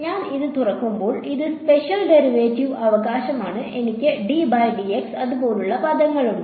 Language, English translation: Malayalam, When I open this is spatial derivative right, I have terms like the d by dx and so on